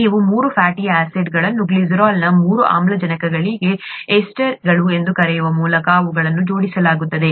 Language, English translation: Kannada, If you have three fatty acids attached to the three oxygens of the glycerol through ester linkages, as they are called